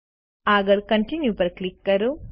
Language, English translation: Gujarati, Next, click on Continue